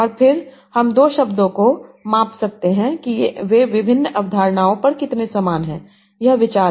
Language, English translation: Hindi, And then I can measure two words based on how much similar they are on various concepts